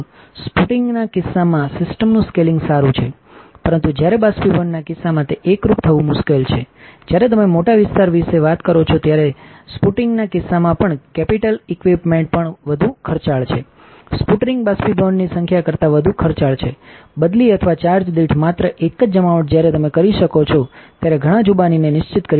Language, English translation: Gujarati, Scaling of the system is good in case of sputtering, but while a case of evaporation it is difficult uniformity also is better in case of sputtering when you talk about large area, capital equipment is also more expensive, sputtering is more expensive than evaporation number of deposition many deposition you can do it can be carried out for target while only one deposition for change or per charge; thickness control is possible in sputtering with several control is possible when in case of evaporation it is not easy